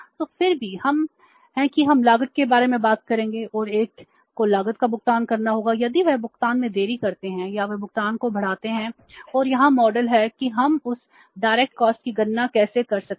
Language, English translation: Hindi, So, still we will be talking about the cost and one has to pay the cost if they delay the payment or they stretch the payment and here is the model how we can calculate that direct cost